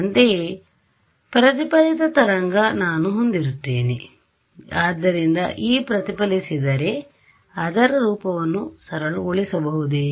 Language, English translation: Kannada, Similarly, I will have the reflected wave ok, so E reflected ok, so this is going to be